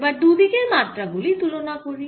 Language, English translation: Bengali, now we can compare the dimensions